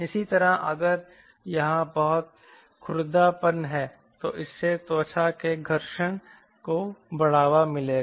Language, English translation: Hindi, similarly, if there lot of roughness is here, that will lead to skin friction drag